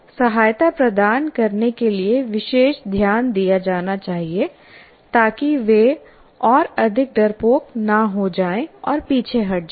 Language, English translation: Hindi, So special attention must be paid to provide support to them so that they don't become further teammate and kind of get withdrawn